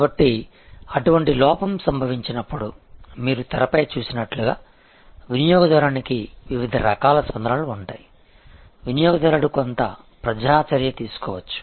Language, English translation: Telugu, So, when such a lapse up, then as you see on the screen, the customer has different sorts of responses, the customer may either take some public action